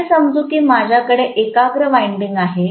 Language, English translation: Marathi, Let us say I have a concentrated winding